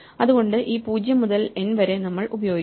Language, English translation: Malayalam, So, we will use in this 0 to n